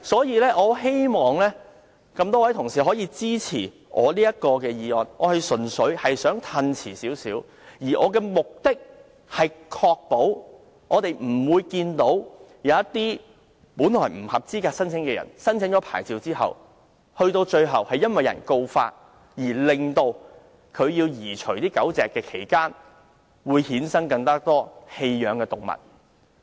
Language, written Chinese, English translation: Cantonese, 我希望各位同事可以支持我的議案，我只想將生效日期稍稍延遲，目的是確保不會出現一個大家不想看到的情況，就是有些本來不合資格的申請人，在獲發牌後由於遭到告發而要移除狗隻，從而衍生出更多棄養動物。, It is acceptable so long as this point can be proved one way or another . I hope Honourable colleagues can support my motion . I merely want to postpone the commencement date slightly in order to prevent a situation we all hate to see that is some people who should not be eligible in the first place are granted with a licence and they have to remove the dogs kept in the premises eventually because of some complaints resulting in an increasing number of abandoned animals